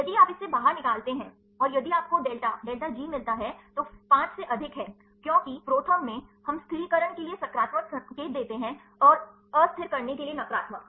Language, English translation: Hindi, If you take this out and, if you get the delta delta G is more than 5 because in the ProTherm, we give the positive sign for stabilizing and negative for the destabilizing